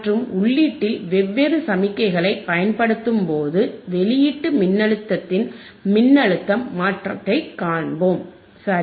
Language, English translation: Tamil, And let us see the change in the output voltage when we apply different signal at the input voltage all right